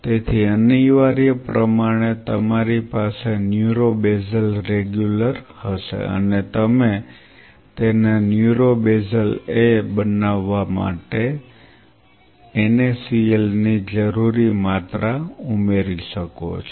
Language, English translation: Gujarati, So, essentially you can have a neuro basal regular, and you add that pre requisite amount of NaCl to make it neuro basal A